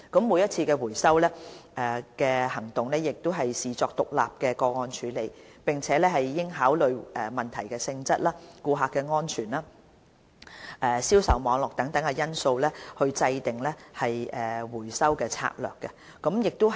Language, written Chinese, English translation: Cantonese, 每次回收行動應視作獨立的個案處理，並應考慮問題的性質、顧客安全、銷售網絡等因素，以制訂回收策略。, Each recall operation should be treated as an isolated case and factors such as the nature of problems customer safety sale networks and so on should be taken into consideration in formulating the recall strategy